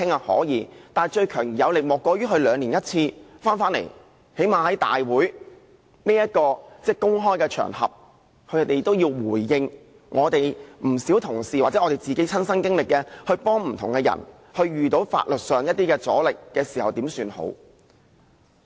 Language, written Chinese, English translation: Cantonese, 可以，但最強而有力的莫過於兩年一次回來，最低限度在立法會大會這個公開的場合，政府需要回應不少同事或我們這些親身經歷、幫助過不同的人，在遇到法律上的阻力時應怎麼辦。, Yes you may . But the most powerful way is rather to ask the Government to come back here once every two years . At least on such a public occasion as a Council meeting the Government needs to give a reply on what Members or we should do when encountering resistance in handling legal matters as shown by our personal experience of helping various people